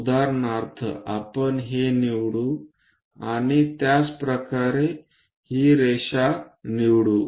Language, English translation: Marathi, For example, let us pick this one and similarly pick this line